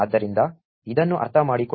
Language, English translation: Kannada, So, in order to understand this